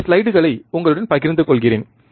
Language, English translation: Tamil, And I am sharing this slides with you